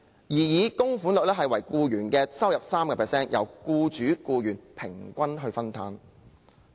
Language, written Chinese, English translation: Cantonese, 擬議供款率為僱員收入的 3%， 由僱主和僱員平均分擔。, The suggested contribution rate was 3 % of an employees income to be shared equally between the employee and his or her employer